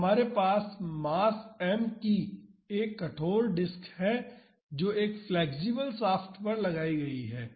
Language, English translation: Hindi, So, we have a rigid disk of mass m mounted on a flexible shaft